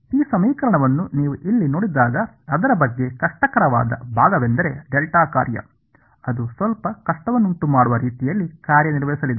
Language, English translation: Kannada, When you look at this equation over here what is the difficult part about it is the delta function right, it is going to act in the way that will present some difficulty